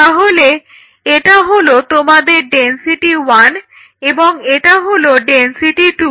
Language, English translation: Bengali, So, then I get density one density two density 3 and density 4